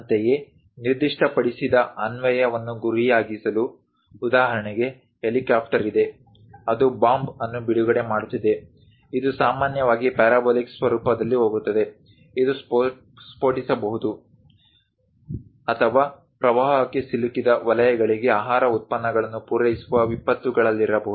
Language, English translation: Kannada, Similarly to target specified application, for example, there is an helicopter which is releasing a bomb; it usually goes in parabolic format, it might be bombed or perhaps in calamities supplying food products to flooded zones